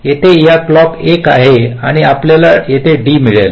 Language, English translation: Marathi, clock is one and we will get d here